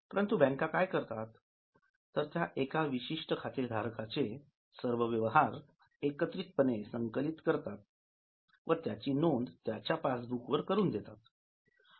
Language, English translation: Marathi, But what they are doing is they are summarizing only the transactions related to a particular account holder and then they give you a passbook